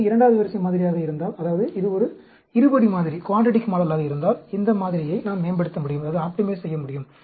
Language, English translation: Tamil, If it is a second order model, that means, if it is a quadratic model, we can optimize that model